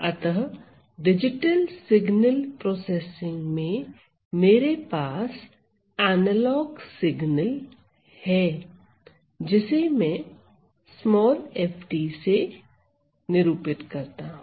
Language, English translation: Hindi, So, in digital signal process processing, I have an analog signal, I have an analog signal, which is denoted by f t